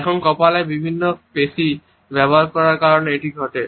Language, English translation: Bengali, Now, this is caused by using different muscles in the forehead